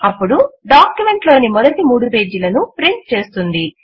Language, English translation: Telugu, This will print the first three pages of the document